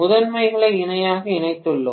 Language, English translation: Tamil, I have connected the primaries in parallel